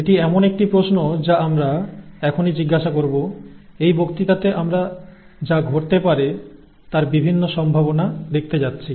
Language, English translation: Bengali, In this lecture this is what we are going to see the various possibilities of that happen